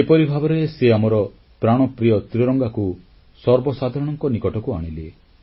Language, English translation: Odia, Thus, he brought our beloved tricolor closer to the commonman